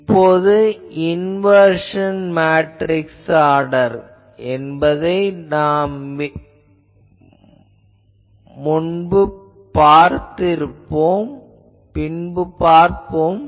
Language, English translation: Tamil, Now, order of the inversion matrix inversion we will see in class one that we will discuss